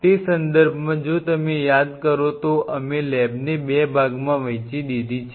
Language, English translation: Gujarati, So, in that context if you recollect we divided the lab into 2 parts right